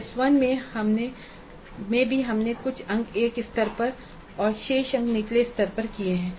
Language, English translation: Hindi, So, in T1 also we have done certain marks at one level and remaining marks at lower level